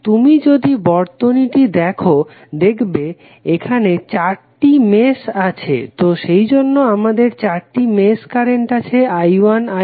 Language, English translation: Bengali, If you see this circuit you will have four meshes created, so that is why we have four mesh currents like i 1, i 2, i 3 and i 4